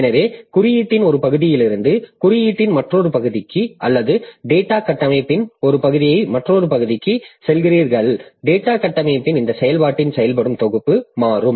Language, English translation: Tamil, So, as you are going from one region of code to another region of code or one part of data structure to another part of data structure, this working set of the process will change